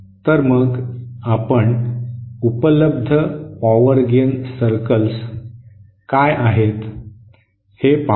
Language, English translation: Marathi, So let us see what are the available power gain circles